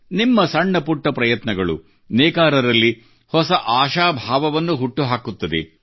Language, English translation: Kannada, Even small efforts on your part will give rise to a new hope in weavers